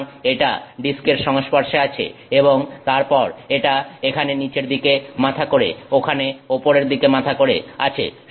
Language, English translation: Bengali, So, it is in contact with the disk and then this is heading down here is heading up there